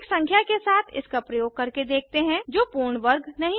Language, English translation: Hindi, Let us try with a number which is not a perfect square